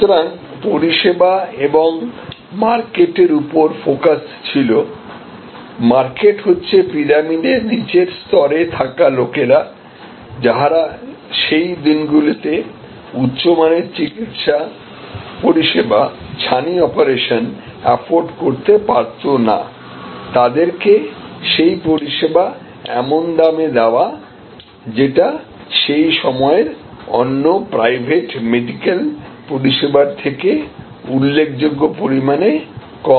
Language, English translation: Bengali, So, service and market focused, market is people at the bottom of the pyramid, people who cannot afford could not afford in those days, high quality medical service at a price which was significantly lower than private medical service that was available at that point of time and cataract operation